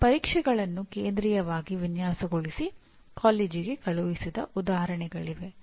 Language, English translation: Kannada, And there are instances where the tests are designed centrally and sent over to the college